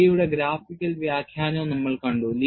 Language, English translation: Malayalam, And we also saw a graphical interpretation of J